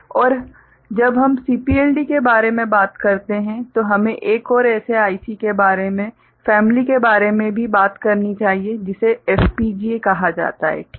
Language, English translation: Hindi, And when we talk about CPLD we should also talk about another such IC called family called, FPGA ok